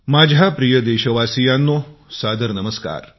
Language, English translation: Marathi, My dear countrymen, Saadar Namaskar